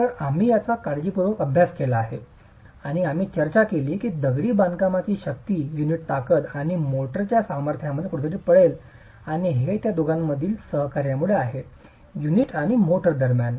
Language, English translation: Marathi, So, we have studied this carefully and we discussed that the strength of the masonry is going to lie somewhere between the strength of the unit and the strength of the motor and this is because of the coaction that occurs between the two, between the unit and the motor